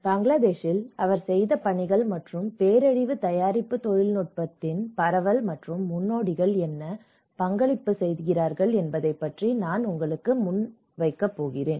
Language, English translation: Tamil, And I am going to prepare, I mean present you about his work and Bangladesh and that is on diffusion of disaster preparedness technology and what pioneers contribute